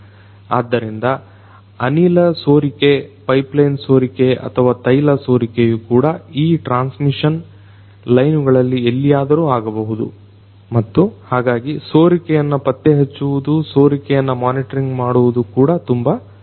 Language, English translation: Kannada, So, gas leakage, pipeline leakage or even the oil leakage might happen in any of the points in these transmission lines and so, leakage detection, leakage monitoring is also very important